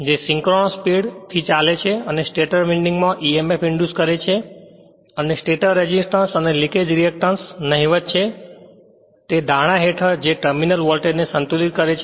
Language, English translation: Gujarati, Which runs at synchronous speed inducing emf in the stator winding which balances the terminal voltage under the assumption that the stator resistance and react[ance] leakage reactance are negligible